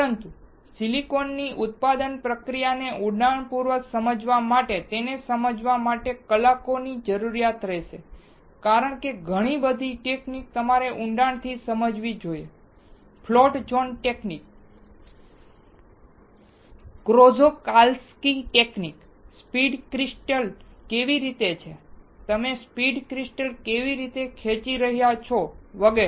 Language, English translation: Gujarati, But to understand in depth the manufacturing process of silicon, it will require hours together to understand because a lot of techniques you must understand in depth, float zone techniques, Czochralski technique, how the seed crystal is there, how you are pulling off the seed crystal etc